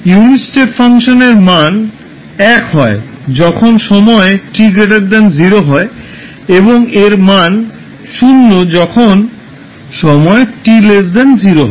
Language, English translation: Bengali, The value of unit step function is 1 at time t is t greater than 0 and it is 0 for time t less than 0